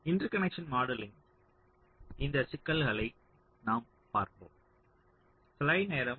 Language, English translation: Tamil, so this interconnection modeling, we shall be looking basically into these issues